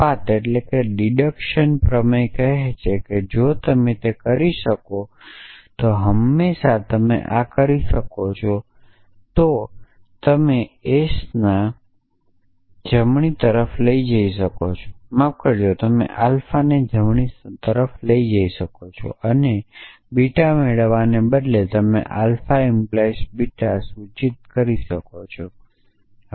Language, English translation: Gujarati, The deduction theorem says that if you can do that then always the case that you can do this, you can take s to the right hand side sorry you can take alpha to the right hand side and instead of deriving beta you can derive alpha implies beta